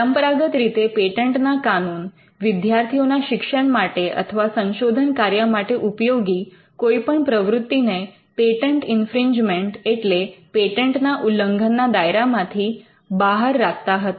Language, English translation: Gujarati, Patent laws traditionally excluded any activity which was for instruction of their students or any research activity from the ambit of a patent infringement